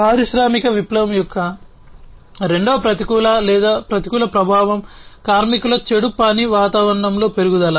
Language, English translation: Telugu, Second adverse or, negative effect of industrial revolution was the increase in the bad working environment of the workers